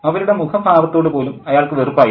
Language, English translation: Malayalam, He hated the very sight of their faces